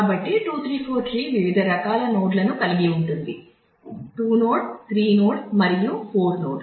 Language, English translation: Telugu, So, 2 3 4 tree have different types of node : 2 node 3 node and 4 node